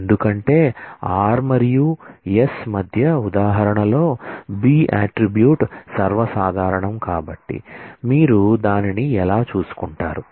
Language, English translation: Telugu, Because as with the example show here between r and s the attribute b is common so, how do you take care of that